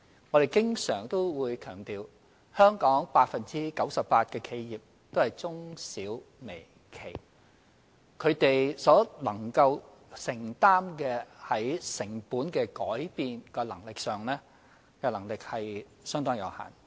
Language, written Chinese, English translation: Cantonese, 我們經常強調，香港 98% 的企業也是中小微企，他們承擔成本改變的能力相當有限。, As we always stress 98 % of the enterprises in Hong Kong are small medium and micro enterprises with limited ability to bear cost changes